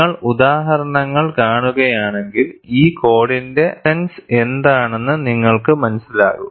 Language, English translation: Malayalam, You see the examples; then you will know, what is the essence of this code